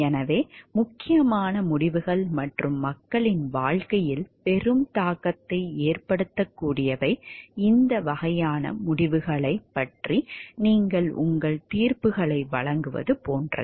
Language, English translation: Tamil, So, those which are important decisions and which have great impact on the life of people so, these are you like make your judgments regarding these type of decisions